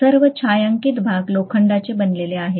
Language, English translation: Marathi, All the shaded regions are made up of iron, right